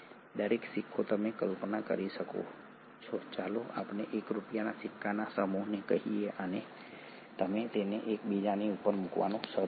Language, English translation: Gujarati, Each coin you can visualize a set of let us say 1 rupee coin and you start putting them one above the other